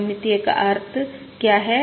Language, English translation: Hindi, What is the meaning of symmetric